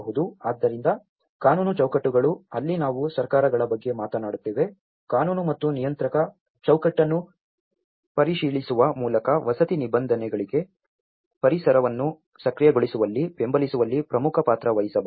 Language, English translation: Kannada, So, the legal frameworks, that is where we talk about the governments can play a key role in supporting the creation of enabling environments for housing provision through reviewing legal and regulatory framework